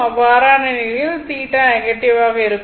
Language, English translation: Tamil, So, theta will be negative right